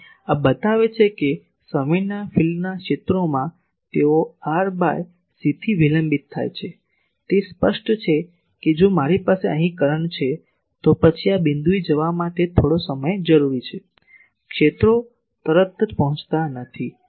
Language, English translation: Gujarati, So, this also shows that in time domain the fields, they are delayed by a delay of r by c, that is obvious if I have a current here, then it require some time to go to this point the fields does not reach immediately